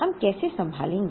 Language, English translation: Hindi, How do we handle that